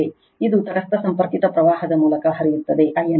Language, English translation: Kannada, This is neutral connected current flowing through I n right